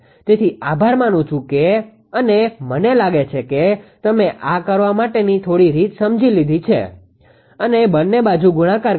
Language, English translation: Gujarati, So, thank you very much I think you have understood this little way to do it and multiply both sides